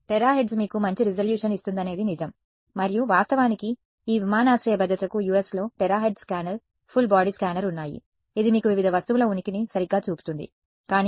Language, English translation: Telugu, It is true the terahertz will give you better resolution and in fact, there are these airport security that the US has where they have a terahertz scanner, full body scanner, which shows you the presence of various objects right, but those are very expensive equipment